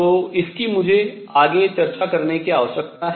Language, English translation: Hindi, So, this is I am going to need to discuss next